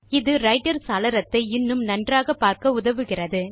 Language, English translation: Tamil, This maximizes the Writer window for better visibility